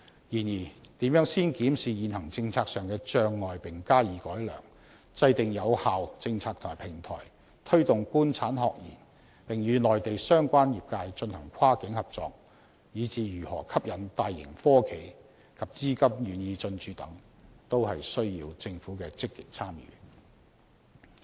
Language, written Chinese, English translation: Cantonese, 然而，如何先檢視現行政策上的障礙並加以改良，制訂有效政策和平台、推動官產學研並與內地相關業界進行跨境合作，以至如何吸引大型科企及資金願意進駐等，均需要政府的積極參與。, However the Government should be actively involved in all segments of the process such as how we should examine the hurdles under the existing policy and improve them formulate effective policy and platform promote the cooperation among the government industry academia and research sectors and cross - boundary cooperations with Mainlands relevant sector and to study ways to attract sizable hi - tech corporations and capital to come and establish a presence in Hong Kong